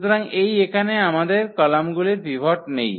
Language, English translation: Bengali, So, here these are the columns where we do not have pivots